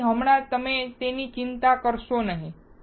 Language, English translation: Gujarati, So, right now you do not worry about it